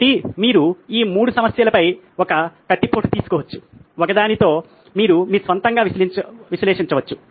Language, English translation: Telugu, So you can take a stab at these 3 problems, in one you can analyse on your own